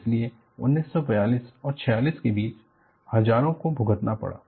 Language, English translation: Hindi, So, between 1942 and 46, thousands suffered